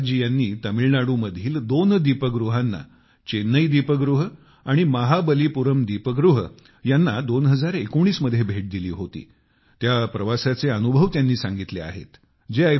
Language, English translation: Marathi, Guru Prasad ji has shared experiences of his travel in 2019 to two light houses Chennai light house and Mahabalipuram light house